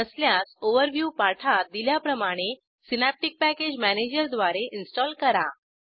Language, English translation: Marathi, If not, please install the same, using Synaptic Package Manager, as in the Overview tutorial